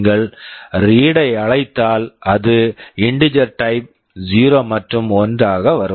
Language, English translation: Tamil, If you call read, it will come as either 0 and 1 of type integer